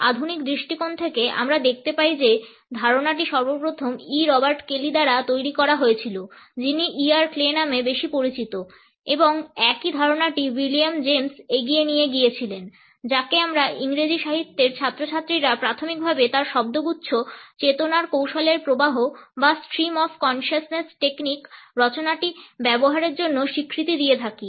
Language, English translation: Bengali, From the modern perspectives, we find that the idea was first of all developed by E Robert Kely who is better known as E R Clay and the same idea was carried forward by William James whom we students of English literature recognized primarily for his use of the phrase is ‘stream of consciousness technique’ in his works